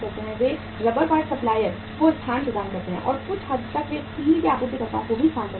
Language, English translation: Hindi, They provide the space to the rubber part supplier and to some extent they provide the space to the suppliers of the steel also